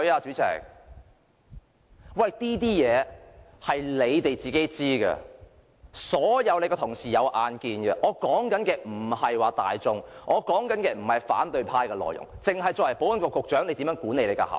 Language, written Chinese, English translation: Cantonese, 這些事署方自己知道，所有同事都有目共睹，我不是說市民大眾，不是反對派的看法，而是作為保安局局長，你如何管理下屬？, These are matters known to the authorities and witnessed by all Honourable colleagues . I am not talking about the views of the public or the opposition camp but about how the Secretary for Security manages his subordinates